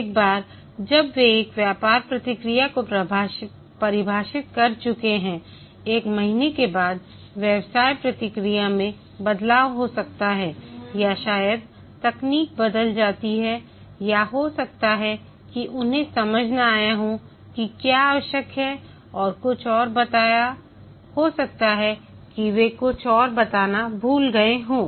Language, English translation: Hindi, Once they have defined a business procedure, maybe after a month the business procedure changes or maybe the technology changes or maybe they might have not understood what is required and told something else